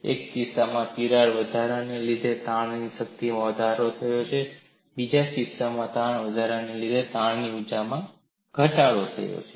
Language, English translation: Gujarati, In one case, we found strain energy increased, in another case, strain energy decreased